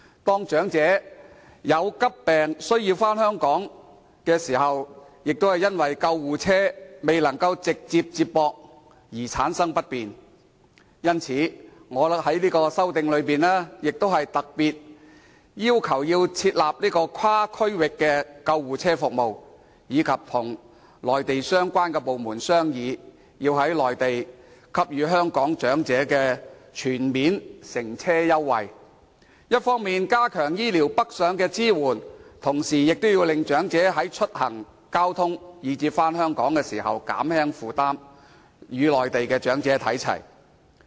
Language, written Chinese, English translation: Cantonese, 當長者患急病，需回港治療時，便因救護車未能直達而造成不便，所以，我在修正案中，特別要求設立跨區域救護車服務，並要求政府與內地相關部門商議，在內地推行香港長者全面乘車優惠，一方面加強醫療上的支援，同時減輕長者出行、交通及返港的負擔，享有與內地長者看齊的福利。, That is why I especially requested that cross - regional ambulance services be introduced in my amendment . In addition I also requested that the Government discuss with relevant departments of the Mainland about implementing comprehensive fare concessions for Hong Kong elderly in the Mainland . When the medical support for the elderly is strengthened on the one hand and on the other their financial burden in connection with travelling transport and returning to Hong Kong is lightened the welfare benefits available to them will be brought in line with those enjoyed by their Mainland counterparts